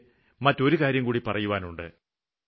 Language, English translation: Malayalam, I have to say something more